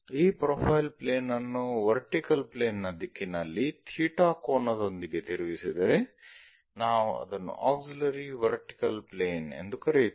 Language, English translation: Kannada, If this profile plane tilted in the direction of vertical plane with an angle theta, we call that one as auxiliary vertical plane